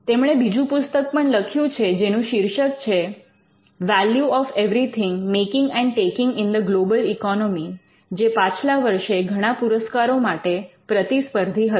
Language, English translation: Gujarati, She has also recently written another book called the value of everything making and taking in the global economy, which is been shortlisted and which has won various awards last year